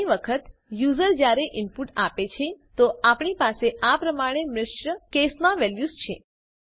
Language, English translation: Gujarati, Often, when users give input, we have values like this, in mixed case